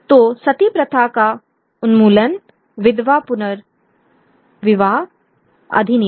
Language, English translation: Hindi, So, the abolition of Sati, the widow rematch act